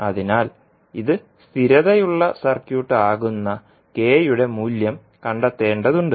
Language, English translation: Malayalam, So we need to find out the value of K for which this particular figure will be stable